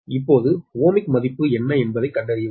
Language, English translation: Tamil, now find out what is is ohmic value